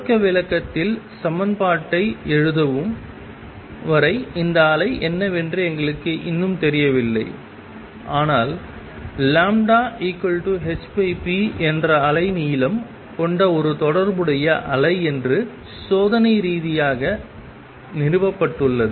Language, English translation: Tamil, And we do not yet know what this wave is until we write equation in start interpreting, but experimentally it is established that there is a wave associated which has a wavelength lambda which is h over p